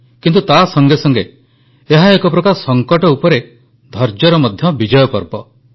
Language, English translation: Odia, But, simultaneously, it is also the festival of victory of patience over crises